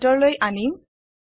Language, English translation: Assamese, Let us bring it inside